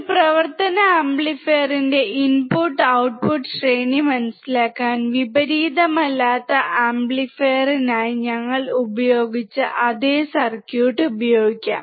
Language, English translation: Malayalam, To understand the input and output range of an operational amplifier, we can use the same circuit which we used for the non inverting amplifier